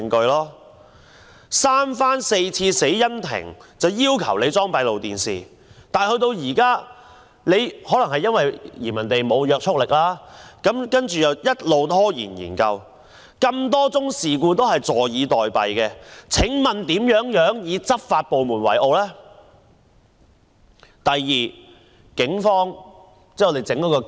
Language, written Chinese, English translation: Cantonese, 死因庭三番四次要求警方安裝閉路電視，但可能因為建議沒有約束力，警方便一直拖延，對多宗事故視而不見，請問我們如何能以執法部門為傲呢？, Despite the repeated request of the Coroners Court for the installation of closed circuit television given that its proposal has no binding effect the Police have been delaying and turned a blind eye to several cases . Please tell us how can we be proud of the law enforcement agencies?